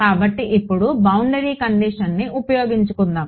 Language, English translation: Telugu, So, now, let us use the boundary condition